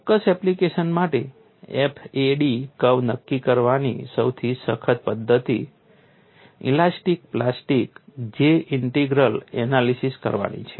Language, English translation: Gujarati, The most rigorous method to determine the FAD curves for a particular application is to perform an elastic plastic J integral analysis